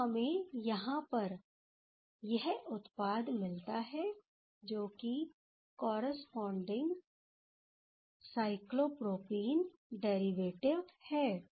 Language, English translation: Hindi, So, this is the corresponding cyclopropene derivative ok